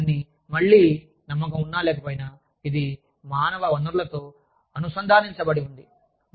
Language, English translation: Telugu, So, all of this is again, believe it or not, it is connected to human resources